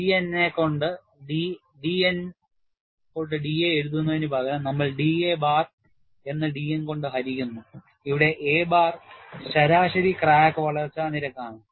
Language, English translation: Malayalam, Instead of writing d a by d N, we write d a bar divided by d N; where a bar is the average crack growth rate